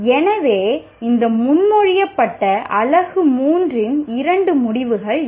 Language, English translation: Tamil, So these are the two outcomes of this proposed unit U3